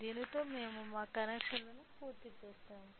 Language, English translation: Telugu, So, with this we finished our connections